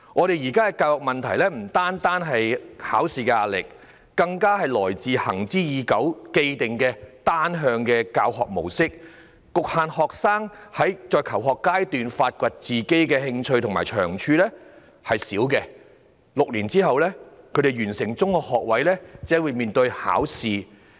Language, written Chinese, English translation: Cantonese, 現在的教育問題不僅來自考試壓力，更加來自行之已久的單向教學模式，阻礙了學生在求學階段發掘自己的興趣和長處，以致他們完成6年的中學學位課程只懂應對考試。, The current problems in education have stemmed not only from the pressure from exams but also from the long - standing one - way teaching which deterred students from exploring their interests and strengths at school age resulting in students who are only good at exams after completing the six - year secondary curriculum